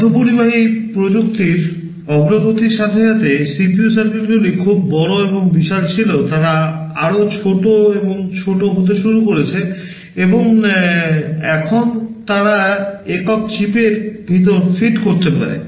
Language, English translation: Bengali, With the advancement in semiconductor technology earlier CPU circuits were very large and bulky; they have started to become smaller and smaller, and now they can fit inside a single chip